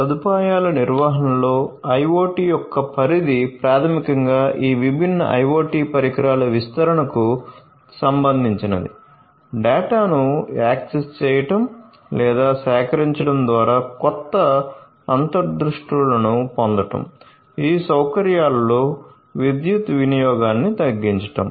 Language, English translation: Telugu, So, scope of IoT in facility management basically concerns the deployment of these different IoT devices, to get new insights through the access or gathering of the data, reducing power consumption in these facilities